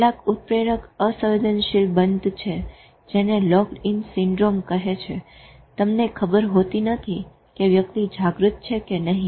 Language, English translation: Gujarati, In some catatonic, locked in stupor, which is called locked in syndrome, you don't know whether a person is conscious or not